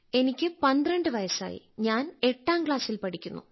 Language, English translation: Malayalam, I am 12 years old and I study in class 8th